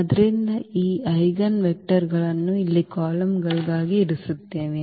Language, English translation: Kannada, So, placing these eigenvectors here as the columns